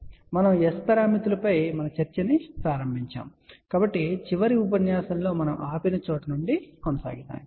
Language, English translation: Telugu, And we had started our discussion on S parameters so let us continue from where we left in the last lecture